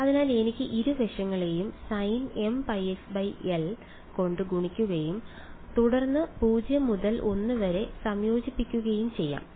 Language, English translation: Malayalam, So, I can multiply both sides by sin m pi x by l and then integrate 0 to l right